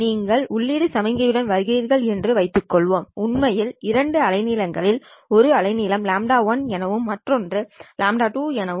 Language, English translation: Tamil, Let's assume that you actually come in with the input signal actually happens to be two wavelengths, one wavelength at some lambda 1 and other one at lambda 2